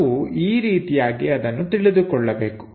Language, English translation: Kannada, This is the way we have to understand that